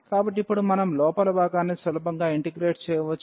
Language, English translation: Telugu, So now, we can easily integrate the inner one